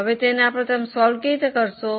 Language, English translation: Gujarati, Now, how will you go about it